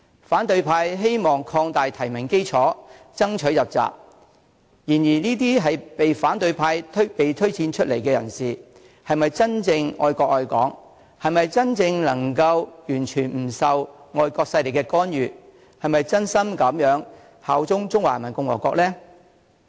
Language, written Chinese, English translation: Cantonese, 反對派希望擴大提名基礎，爭取入閘，但這些被反對派推薦出來的人士，是否真正愛國愛港、是否真正能夠完全不受外國勢力干預、是否真心效忠中華人民共和國呢？, But will those nominated by the opposition camp genuinely love the country and Hong Kong? . Can such nominees really steer clear of foreign intervention? . Will they bear true allegiance to the Peoples Republic of China?